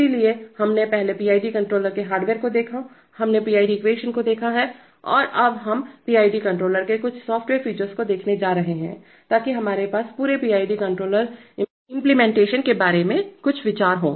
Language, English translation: Hindi, So we first looked at the hardware the PID controller we have looked at the PID equation and now we are going to look at some of the software features of the PID controller, so that we have a we have some idea about the whole PID controller implementation